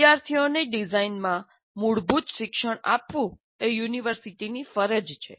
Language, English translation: Gujarati, It is the university's obligation to give students fundamental education in design